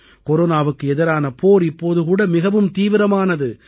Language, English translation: Tamil, The fight against Corona is still equally serious